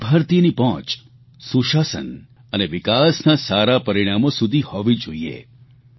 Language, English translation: Gujarati, Every Indian should have access to good governance and positive results of development